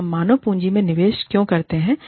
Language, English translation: Hindi, So, why do we invest in human capital